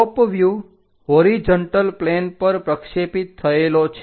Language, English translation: Gujarati, A top view projected on to horizontal plane